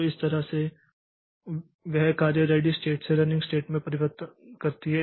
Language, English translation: Hindi, So, that way that job makes a transition from ready state to running state